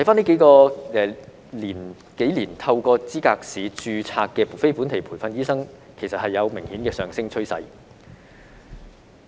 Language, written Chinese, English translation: Cantonese, 這數年透過資格試註冊的非本地培訓醫生，其實有明顯的上升趨勢。, There is an obvious rising trend of the number of NLTDs registered through the Licensing Examination during these few years